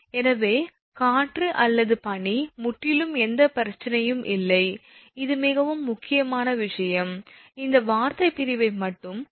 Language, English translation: Tamil, Therefore, so wind or ice absolutely there is no problem, it is very simple thing; only see this terminology division carefully, then absolutely there is no problem